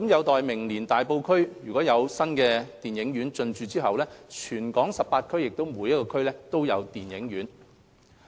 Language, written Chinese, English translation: Cantonese, 待明年大埔區亦有新電影院進駐後，全港18區每區均設有電影院。, With the upcoming launch of a cinema in Tai Po in 2019 there will be provision of cinemas in all the 18 districts